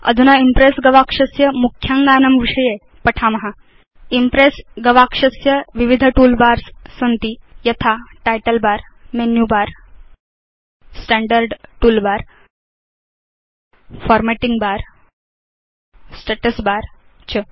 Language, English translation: Sanskrit, The Impress window has various tool bars like the title bar, the menu bar, the standard toolbar, the formatting bar and the status bar